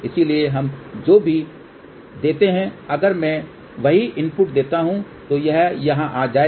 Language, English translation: Hindi, So, whatever we give if I give the same input it will come over here